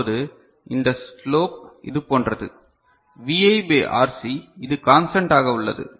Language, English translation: Tamil, Now so, this slop is like this, Vi by RC which remains constant ok